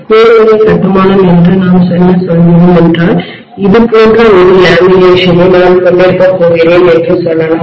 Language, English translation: Tamil, What we mean by core type construction is, let us say I am going to have probably a lamination somewhat like this, right